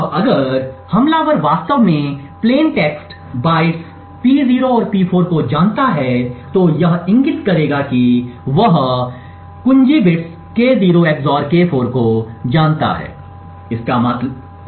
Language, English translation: Hindi, Now if the attacker actually knows the plain text bytes P0 and P4 it would indicate that he knows the XOR of the key bits K0 XOR K4